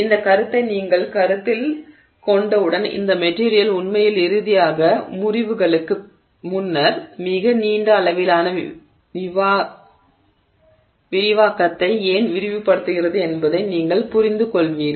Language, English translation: Tamil, And once you consider this concept, you understand why this material keeps expanding over a very long, you know, extent of expansion before it actually finally fractures